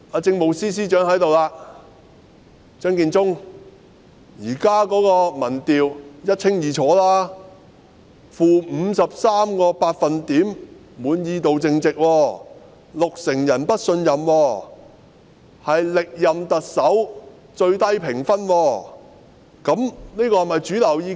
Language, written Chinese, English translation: Cantonese, 政務司司長張建宗現時在席，而現時的民調一清二楚，政府的滿意度淨值是 -53%， 有六成人不信任，是歷任特首的評分中最低。, The Chief Secretary for Administration Matthew CHEUNG is in the Chamber now and from the results of the opinion polls which are all very clear the net value of peoples satisfaction with the Government is - 53 % with 60 % of the people not trusting the Government and her rating is the lowest of all the former Chief Executives